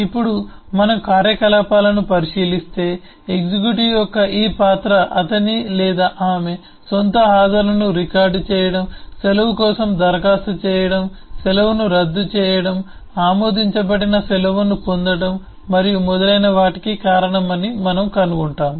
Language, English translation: Telugu, now if we look into the operations, we will find that this role of an executive is responsible for these operations, that is, recording his or her own attendance, applying for leave, cancelling a leave, availing a leave that has been approved, and so on